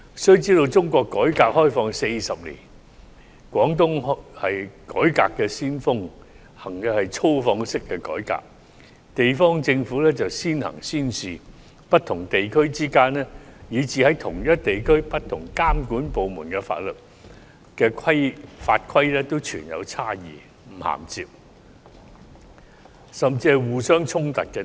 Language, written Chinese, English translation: Cantonese, 須知道中國改革開放40年，廣東省是改革先鋒，實行的是"粗放式"改革，地方政府"先行先試"，不同地區之間以至同一地區內不同監管部門的法律法規亦存在差異，並有不銜接甚至互相衝突之處。, It should be noted that in the past 40 years of reform and opening up of China Guangdong Province has been the vanguard of reform and engaged in extensive development . Given that the local governments adopted the early and pilot measures the rules and regulations enforced by various monitoring authorities of different regions and even within the same region may be different and there are often inconsistencies and even contradictions